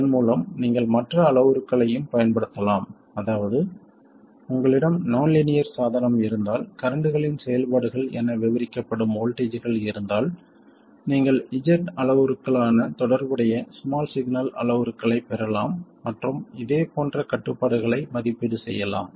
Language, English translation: Tamil, By the way, you can also use other parameters, that is if your nonlinear device happens to have voltages described as a function of currents, then you can derive the corresponding small signal parameters which are Z parameters and evaluate similar constraints